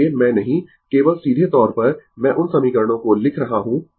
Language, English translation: Hindi, So, I am not just directly I am writing those equations right